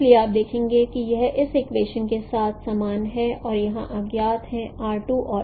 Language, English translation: Hindi, So you see that this is equated with this equation and which are unknown here here unknown is R2 and R3